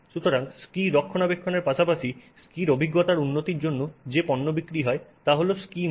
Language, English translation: Bengali, So, one product that is sold for maintaining the ski as well as to enhance the experience of the skier is a ski wax